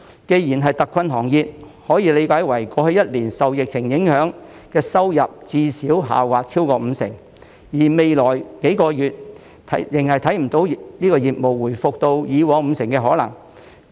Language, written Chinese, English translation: Cantonese, 既然是特困行業，可以理解為過去1年受疫情影響，收入最少下滑超過五成，而未來數個月仍然看不到業務回復到以往五成的可能。, A hard - hit industry can be understood as an industry whose revenue has dropped by at least 50 % in the past year due to the epidemic and there is no chance that business will return to 50 % of its previous level in the next few months